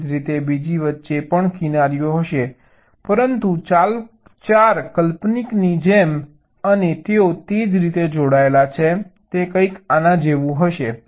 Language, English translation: Gujarati, ok, similarly, there will be edges in between the other also, but the four imaginary ones and the way they are connected will be something like this